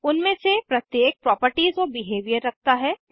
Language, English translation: Hindi, Each of them has properties and behavior